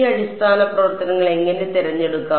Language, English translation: Malayalam, How do we choose these basis functions